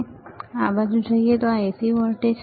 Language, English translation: Gujarati, Now we go towards, this side, this is AC voltage